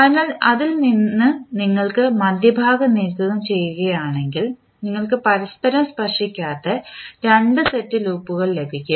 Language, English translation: Malayalam, So, out of that if you remove the middle one you will get two sets of loops which are not touching to each other